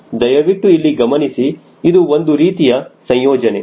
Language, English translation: Kannada, please see here, this is one of the combination